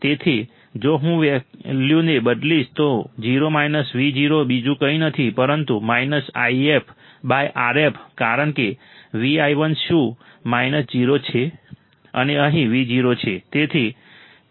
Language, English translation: Gujarati, So, if I substitute the value and 0 minus Vo, is nothing but minus If by R f because Vi1 is what – 0, and here is Vo